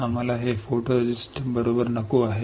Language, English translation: Marathi, We do not want this photoresist right